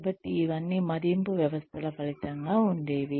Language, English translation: Telugu, And so, all this would have been a result of the appraisal systems